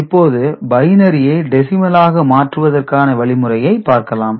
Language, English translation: Tamil, Now, that was binary to decimal